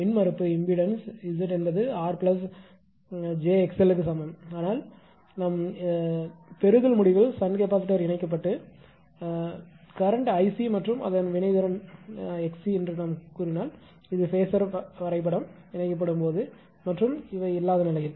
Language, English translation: Tamil, Impedance is Z is equal to r plus jxl and Z is equal to here r plus jxl but at the receiving end say if shunt capacitor is connected current is I c and it is reactance is x c and this is the same phasor diagram as in the case of without anything right